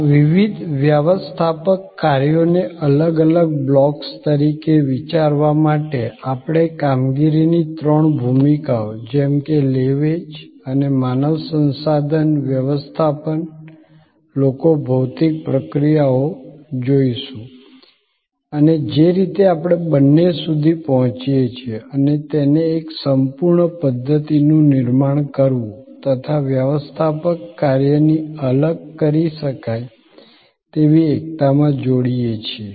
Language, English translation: Gujarati, To think of these various managerial functions as separate blocks, so three roles of operations, marketing and human resource management, people, physical processes and the way we reach out and connect the two, create a complete systems orientation, in separable togetherness of the managerial function